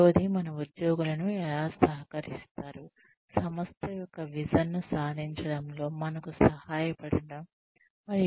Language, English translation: Telugu, The third is, how do our employees contribute, to helping us to achieving, the vision of the organization